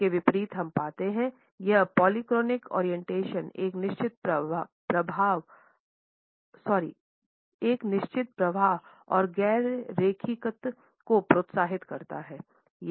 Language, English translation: Hindi, In contrast we find that polychronic orientation encourages a certain flux and non linearity